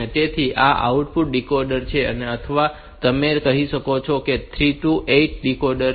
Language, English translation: Gujarati, So, this is the 8 output decoder or you can say it is a 3 to 8 decoder